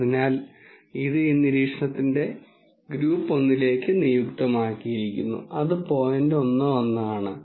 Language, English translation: Malayalam, So, this is assigned to group 1 this observation, which is basically the point 1 1